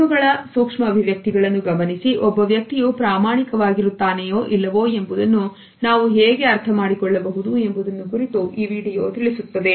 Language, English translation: Kannada, This video also tells us about looking at the micro expressions of eyes and how we can understand whether a person is being honest or not